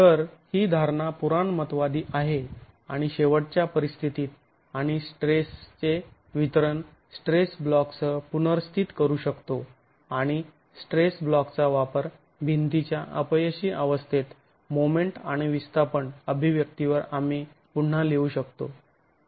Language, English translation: Marathi, So, this assumption is conservative and at ultimate conditions we can then replace the stress distribution with the stress block and use the stress block to rewrite the moment and displacement expression at the failure condition of the wall itself